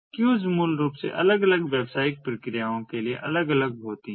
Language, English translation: Hindi, queues are basically separate ah for different business processes